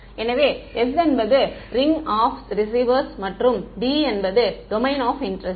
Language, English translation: Tamil, So, S is the ring of receivers and D is the domain of interest ok